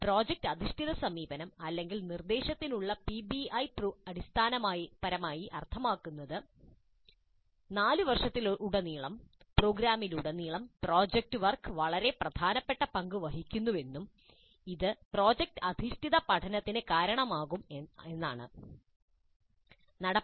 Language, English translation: Malayalam, And the project based approach, or PBI, to instruction, essentially means that project work plays a very significant role throughout the program, throughout all the four years, and this results in project based learning